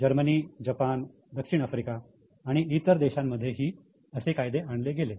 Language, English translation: Marathi, Then in Germany, in Japan, South Africa, in several countries, similar laws have been introduced